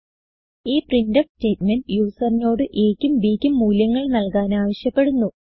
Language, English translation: Malayalam, This printf statement prompts the user to enter the values of a and b